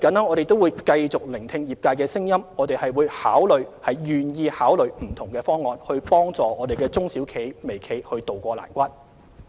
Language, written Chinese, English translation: Cantonese, 我們會繼續聆聽業界的聲音，亦願意考慮不同方案，協助中小微企渡過難關。, We will continue to listen to the voices of the industries and are willing to consider different options to assist MSMEs overcome difficulties